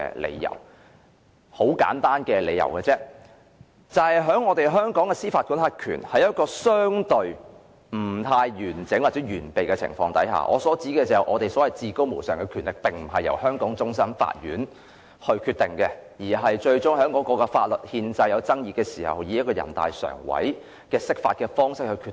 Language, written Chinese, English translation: Cantonese, 理由很簡單，香港的司法管轄權相對不完整或完備，所謂至高無上的權力並不在於香港終審法院，當出現法律憲制爭議時，最終會以全國人民代表大會常務委員會釋法的方式來決定。, Hong Kongs jurisdiction is relatively incomplete or inadequate in that the Hong Kong Court of Final Appeal does not possess the ultimate power . In the event of a constitutional dispute the Standing Committee of the National Peoples Congress NPCSC will make a decision by way of interpretation of the Basic Law